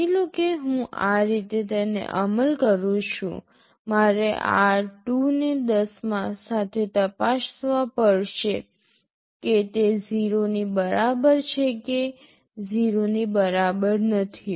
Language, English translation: Gujarati, Suppose I implement like this I have to check r2 with 10, whether it is equal to 0 or not equal to 0